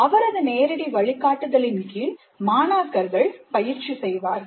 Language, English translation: Tamil, And under the direct supervision of the instructor, students are practicing